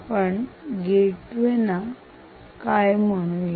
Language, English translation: Marathi, ok, what we will call this gateway